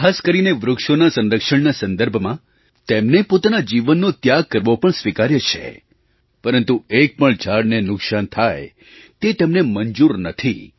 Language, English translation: Gujarati, Specially, in the context of serving trees, they prefer laying down their lives but cannot tolerate any harm to a single tree